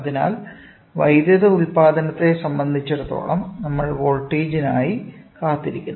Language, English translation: Malayalam, So, as far as electrical output we look forward for voltage